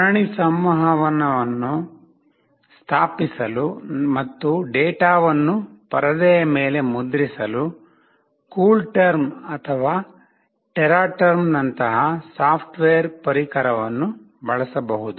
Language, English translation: Kannada, The software tool such as CoolTerm or Teraterm can be used to establish the serial communication and to print the data on the screen